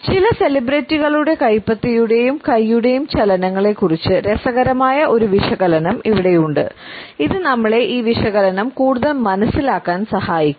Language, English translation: Malayalam, Here we have an interesting analysis of the palm and hand movements of certain celebrities which would further help us to understand this analysis